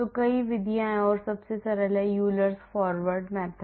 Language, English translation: Hindi, So, there are many methods are there and the simplest is the Euler’s Forward method